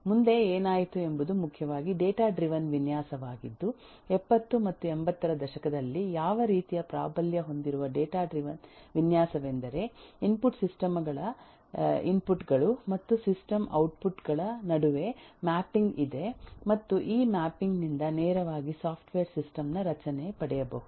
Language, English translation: Kannada, Next what happened is primarily data driven design which eh um kind of dominated the 70s and the 80s where in typical characteristic of data driven design is there is a mapping between the input eh system inputs and the system outputs and this mapping can directly derive the structure of the software system